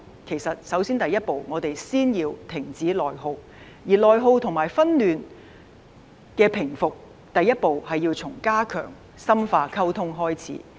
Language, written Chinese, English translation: Cantonese, 其實我們首先要停止內耗，而內耗及紛亂的平復，第一步是要從加強和深化溝通開始。, In fact we must first stop the internal attrition . And to stop the internal attrition and pacify the unrest the first step starts with strengthening and deepening communication